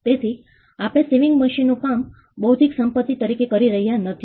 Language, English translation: Gujarati, We do not say the work of the sewing machine as something intellectual property